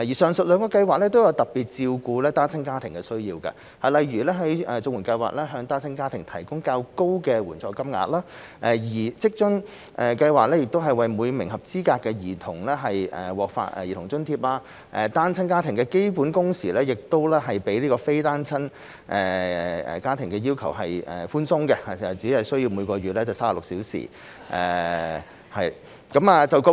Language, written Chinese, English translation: Cantonese, 上述兩項計劃均特別照顧單親家庭的需要，例如綜援計劃向單親家庭提供較高的援助金額，而職津計劃則為每名合資格兒童發放兒童津貼，單親家庭的基本工時要求亦比非單親家庭的要求寬鬆，只為每月36小時。, Both the aforementioned schemes provide special assistance to meet the needs of single - parent families . For example the CSSA Scheme provides a higher payment rate for single - parent families whereas the WFA Scheme grants Child Allowance for each eligible child and the basic working hour requirement for single - parent families is only pitched at 36 hours per month which is much more lenient than the basic working hour requirement for non - single - parent families